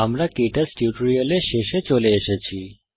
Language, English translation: Bengali, This brings us to the end of this tutorial on KTouch